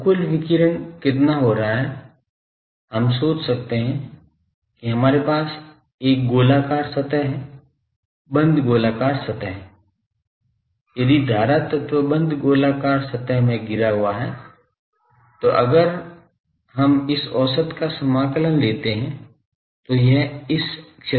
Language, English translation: Hindi, So, what is the total of this radiation taking place, it is we can think that we will have a spherical surface, enclosing these say closed spherical surface if we enclose, enclosing this current element and, then if we integrate this S average there because it will come out of this area